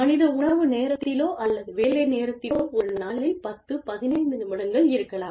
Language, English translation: Tamil, May be, either during lunchtime, or even, during work hours, for maybe, 10, 15 minutes in a day